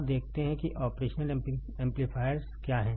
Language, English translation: Hindi, Now, let us see what are the operational amplifiers right